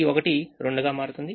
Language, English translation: Telugu, one becomes two